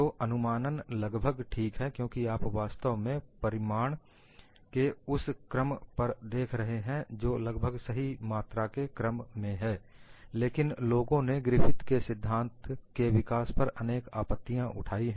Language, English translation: Hindi, So, the approximation is reasonably alright, because you are really looking at order of magnitude than exact values, but people also have raised certain other objections on the development of the Griffith’s theory